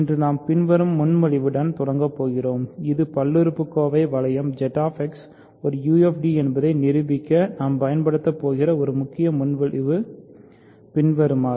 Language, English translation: Tamil, So, today we are going to start with the following proposition which is the key proposition that we are going to use to prove that the polynomial ring Z X is a UFD